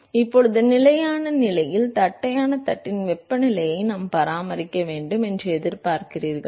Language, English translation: Tamil, Now at steady state, you expect that we should maintain the temperature of the flat plate